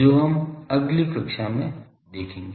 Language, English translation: Hindi, That will see in the next class, ok